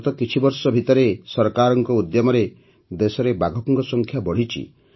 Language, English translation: Odia, During the the last few years, through the efforts of the government, the number of tigers in the country has increased